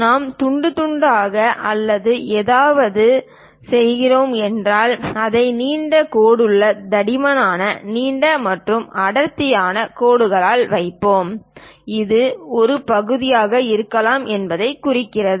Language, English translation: Tamil, If we are making something like a slicing or whatever, we show it by long dashed thick, long and thick dashed lines; that indicates a perhaps there might be a section